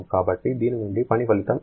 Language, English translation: Telugu, So, how much is the work output from this